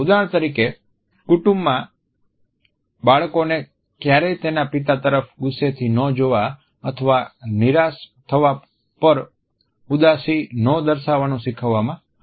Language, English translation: Gujarati, For example, in a family a child may be taught never to look angrily at his father or never to show sadness when disappointed